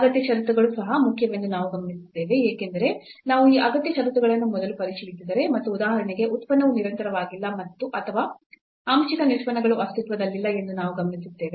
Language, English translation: Kannada, We have also observed that the necessary conditions are also important because if we check these necessary conditions first and we observe that for example, the function is not continuous or the partial derivatives do not exist